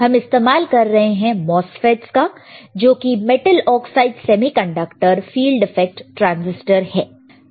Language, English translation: Hindi, MOSFET's are Metal Oxide Semiconductor Field Effect Transistors